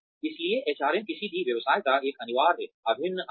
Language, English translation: Hindi, So, HRM is an essential integral part of any business